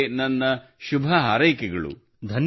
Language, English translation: Kannada, My best wishes to you